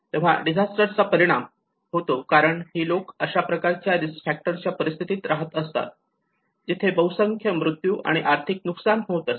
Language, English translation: Marathi, So disaster impacts because these people live in this kind of risk factors situations that is where the majority mortality and economic loss